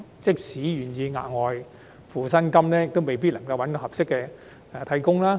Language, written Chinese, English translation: Cantonese, 即使僱主願意支付額外薪金，也未必能夠聘得合適的替工。, Even if the employers are willing to pay additional wages they may not be able to hire suitable substitute workers